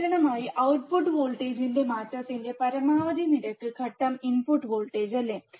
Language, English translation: Malayalam, Maximum rate of change of the output voltage in response to a step input voltage, right